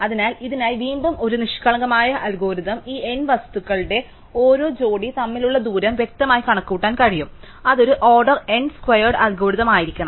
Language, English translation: Malayalam, So, for this again a naive algorithm could be to explicitly compute the distance between every pair of these n objects, which should be an order n squared algorithm